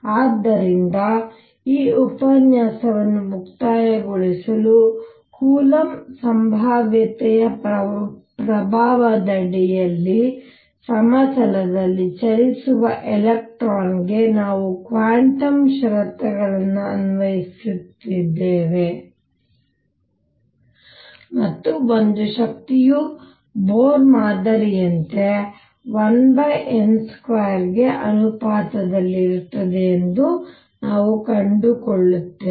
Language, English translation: Kannada, So, to conclude this lecture, we have applied quantum conditions to an electron moving in a plane under the influence of coulomb potential and what do we find one energy comes out to be proportional to 1 over n square same as the Bohr model